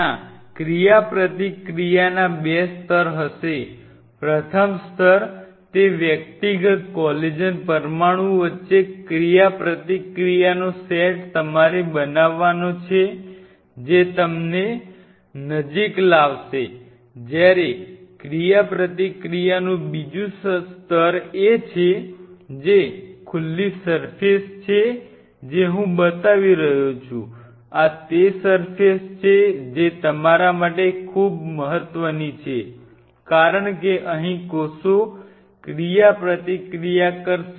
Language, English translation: Gujarati, There will be 2 level of interaction; one interaction you have to make made happen is between the individual collagen molecules there is one set of interaction which will be happening that will bring them close whereas, there is a second level of interaction which is the surface which is exposed which I am showing like this is the surface which is very important for you because this is where the cells are going to interact